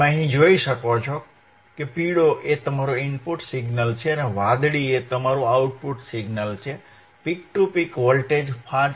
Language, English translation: Gujarati, yYou can see here, yellow is your input signal, blue is your output signal, peak to peak voltage is 5